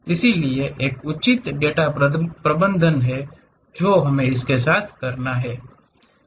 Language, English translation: Hindi, So, there is a proper data management one has to do with that